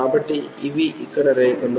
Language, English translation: Telugu, So, these are the lines here